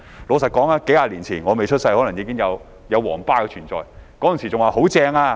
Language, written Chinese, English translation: Cantonese, 老實說，數十年前我未出生時可能"皇巴"已存在，那時人們會說："太棒了！, Frankly speaking the Yellow Bus might already exist some decades ago when I was born . At the time people would say Brilliant!